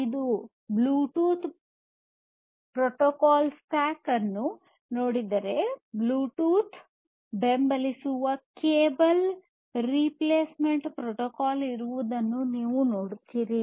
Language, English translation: Kannada, If you look at the Bluetooth stack, protocol stack, you will see that there is a cable replacement protocol that is supported by Bluetooth